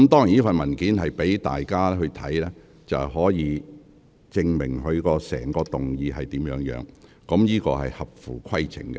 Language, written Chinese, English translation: Cantonese, 這份文件供大家參閱，以證明其議案所述的情況屬實，這做法是合乎規程的。, This paper serves as a reference to prove the veracity of the description in his motion . This practice is in order